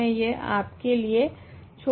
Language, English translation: Hindi, So, these I will leave for you to do